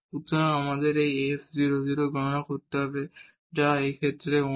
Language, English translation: Bengali, So, we need to compute this f 0, 0 which is in this case 1